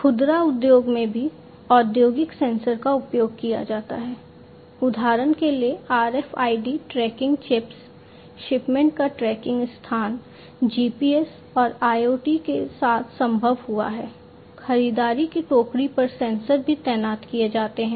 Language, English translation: Hindi, In the retail industry also industrial sensors are used, for example, RFID tracking chips, tracking location of shipments made possible with GPS and IoT, sensors on shopping cart are also deployed